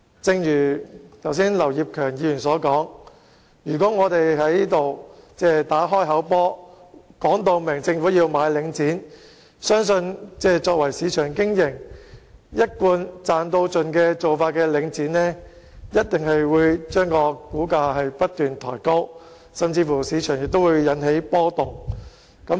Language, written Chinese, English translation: Cantonese, 正如劉業強議員剛才所說，如果我們在此打"開口波"，明言要求政府購回領展，相信以商業原則經營、做法一貫是"賺到盡"的領展一定會把股價不斷抬高，甚至會在市場裏引起波動。, Just as Mr Kenneth LAU pointed out just now if we make an explicit request here for the Government to buy it back I believe Link REIT which is commercially operated with maximizing its profit as its long - standing principle will definitely keep pushing up its share prices or even trigger fluctuations in the market